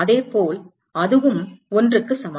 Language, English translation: Tamil, Similarly, that is also equal to 1, all right